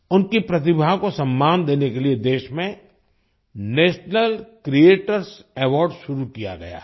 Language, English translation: Hindi, To honour their talent, the National Creators Award has been started in the country